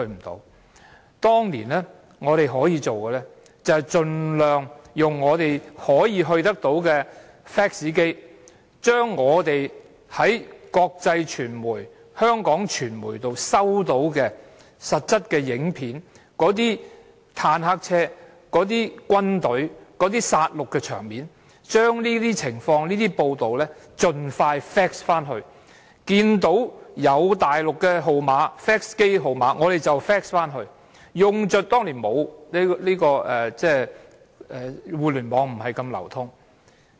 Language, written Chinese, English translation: Cantonese, 當年我們可以做的就是，盡量用我們可以接觸到的 fax 機，將我們在國際傳媒及香港傳媒收到的實質影片，將那些坦克車及軍隊的殺戮場面的報道盡快 fax 去中國，看到有大陸的 fax 號碼，我們便 fax 去，因為當年互聯網不是這麼流通。, Back then what we could do was to make use of all fax machines available to send photographs and reports of the killings by tanks and troops we got from international media and Hong Kong media to all the fax numbers in China which we knew because the Internet was not so popular then